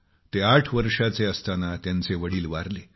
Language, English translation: Marathi, When he turned eight he lost his father